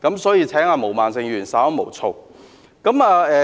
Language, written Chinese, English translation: Cantonese, 所以，請毛孟靜議員稍安毋躁。, Hence I would ask Ms Claudia MO to calm down and be patient